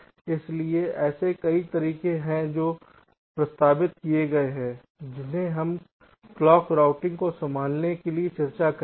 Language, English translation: Hindi, ok, so there are many methods which have been propose, which we shall discussing, to handle clocked routing